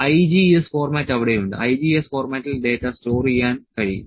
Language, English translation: Malayalam, So, IGES format is there, IGES format data can be stored